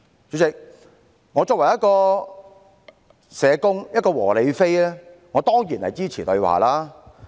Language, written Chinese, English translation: Cantonese, 主席，我作為一個社工、"和理非"，我當然支持對話。, President as a social worker and a peaceful rational and non - violent advocate of public good I certainly support dialogues